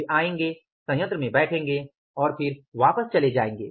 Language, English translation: Hindi, They will come, they will sit in the plant, they will go back